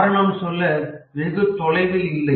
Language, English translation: Tamil, The reason is not very far to seek